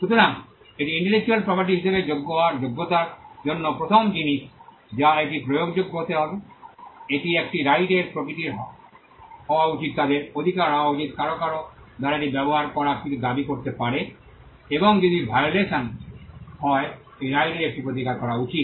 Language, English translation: Bengali, So, that is the first thing for something to qualify as an intellectual property right it should be enforceable, it should be in the nature of a right they should be an entitlement some somebody can claim something used on it, and if there is a violation of that right there should be a remedy